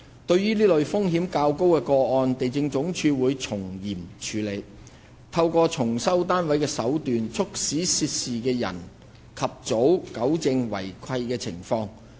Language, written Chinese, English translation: Cantonese, 對於這類風險較高的個案，地政總署會從嚴處理，透過重收單位的手段，促使涉事人及早糾正違契情況。, The Lands Department LandsD will adopt a stringent approach and take measures to re - enter units in these cases which pose a higher risk with a view to urging the parties concerned to rectify the breaches as soon as possible